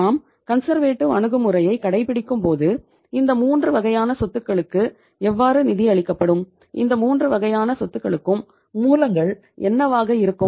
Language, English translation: Tamil, Now if you are following the conservative approach, how these 3 categories of the assets will be financed means what will be the source of funds for financing these 3 categories of the assets